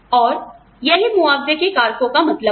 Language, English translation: Hindi, This is, what is meant by, compensable factors